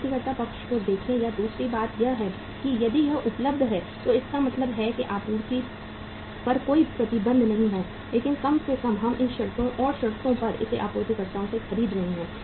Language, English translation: Hindi, Look at the supplier side or second thing is if it is available means there is no restriction on the supply but at least on what terms and conditions we are buying it from the suppliers